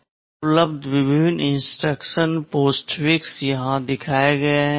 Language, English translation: Hindi, Now the various instruction postfix that are available are shown here